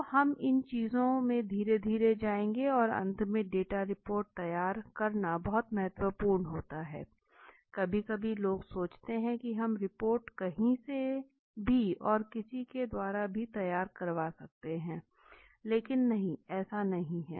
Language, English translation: Hindi, So we will go slowly into these things right, and finally is the data report preparation is very important sometimes people think key the report we will do the work and the report is not so important because it is, it can be done by anyone no, it is not that